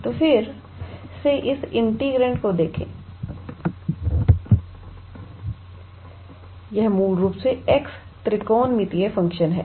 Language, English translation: Hindi, So, again just look at this integrand, it is basically x times R trigonometrical function